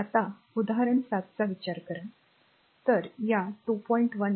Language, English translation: Marathi, Now, for now consider this example 7